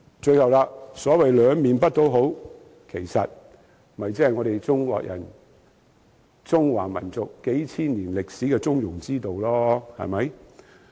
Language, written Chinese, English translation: Cantonese, 最後，所謂兩面不討好，無非是中華民族在數千年歷史中倡議的中庸之道。, Lastly speaking of a move that does not find favour with either side it is all about steering a middle course as advocated by the Chinese nation for several thousand years in its history